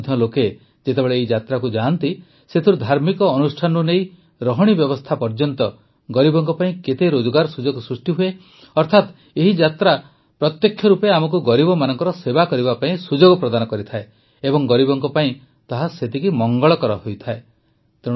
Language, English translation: Odia, Even today, when people go on these yatras, how many opportunities are created for the poor… from religious rituals to lodging arrangements… that is, these yatras directly give us an opportunity to serve the poor and are equally beneficial to them